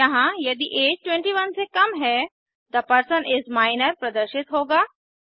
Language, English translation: Hindi, Here, if age is less than 21, The person is Minor will be displayed